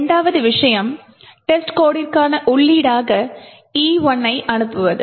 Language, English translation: Tamil, The second thing is to sent, E1 as an input to test code this is done as follows